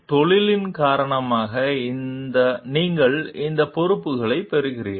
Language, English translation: Tamil, By virtue of profession, you get these responsibilities